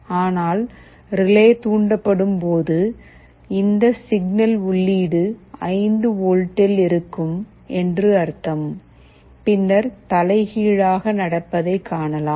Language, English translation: Tamil, But, when the relay is triggered that means this signal input is at 5 volts then you see the reverse happens